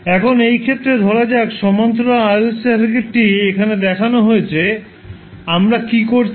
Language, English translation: Bengali, Now in this case suppose the parallel RLC circuit is shown is in this figure here, what we are doing